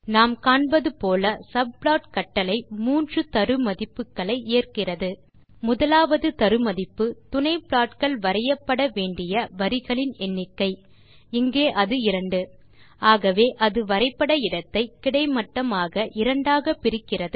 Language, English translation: Tamil, As we can see subplot command takes three arguments, the first being the number of rows of subplots that must be created,in this case we have 2 as the first argument so it splits the plotting area horizontally for two subplots